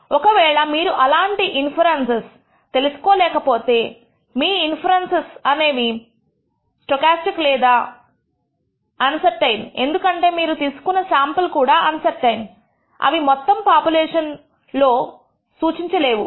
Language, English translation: Telugu, You have to note that when you actually lose such inferences, your inference is also stochastic or uncertain because the sample that you have drawn are also uncertain; they are not representative of the entire population